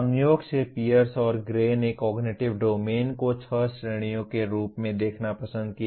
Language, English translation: Hindi, Incidentally Pierce and Gray preferred to look at the Cognitive Domain also as six categories